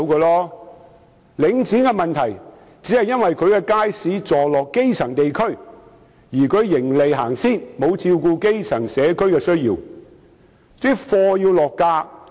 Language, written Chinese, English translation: Cantonese, 領展的問題只是其街市座落基層地區，並以盈利為出發點，沒有照顧基層地區的需要。, The only problem with Link REIT is that its markets which are situated in grass - roots areas are profit - oriented and fail to meet the needs of these areas